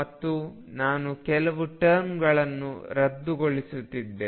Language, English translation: Kannada, And I am going to cancel a few terms